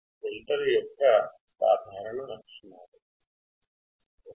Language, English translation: Telugu, Attributes common to filters are 1